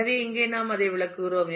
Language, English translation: Tamil, So, here all that we are explaining that